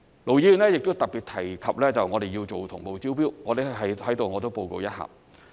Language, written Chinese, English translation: Cantonese, 盧議員亦特別提及我們要做同步招標，我在此報告一下。, Ir Dr LO has particularly mentioned the need to adopt parallel tendering . I would like to report on that here